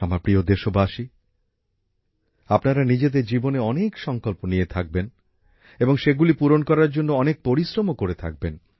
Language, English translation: Bengali, My dear countrymen, you must be taking many resolves in your life, and be you must be working hard to fulfill them